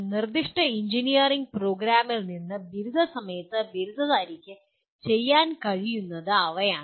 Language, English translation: Malayalam, They are what the graduate should be able to do at the time of graduation from a specific engineering program